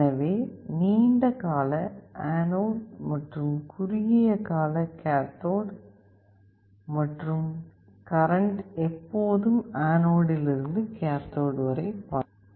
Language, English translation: Tamil, So, the long leg is anode and the short leg is cathode, and current always flows from anode to cathode